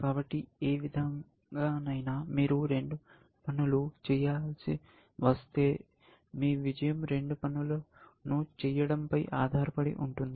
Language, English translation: Telugu, So, if you have to do two things any way, and your success depends on doing both the things